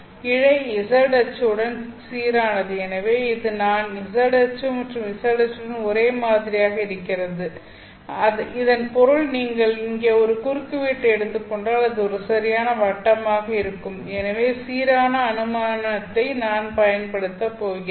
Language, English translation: Tamil, So this is the z axis and it is uniform along the z axis by which we mean that if you take a cross section here it could be a perfect circle, if you take a cross here, that would also be a perfect circle